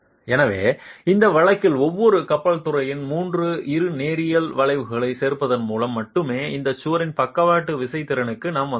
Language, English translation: Tamil, So, merely by adding up the three bilinear curves of each peer, in this case we have arrived at the lateral force capacity of this wall itself